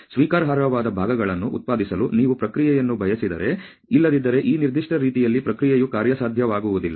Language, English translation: Kannada, If you want the process to producing parts which are acceptable otherwise the process just is not feasible in this particular manner